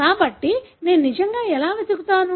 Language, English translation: Telugu, So, how would I really search